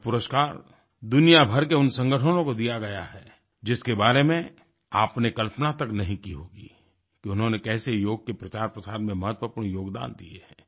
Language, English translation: Hindi, This award would be bestowed on those organizations around the world, whose significant and unique contributions in the promotion of yoga you cannot even imagine